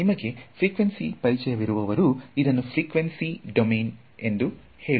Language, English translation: Kannada, Those of you who are familiar with it is actually frequency domain again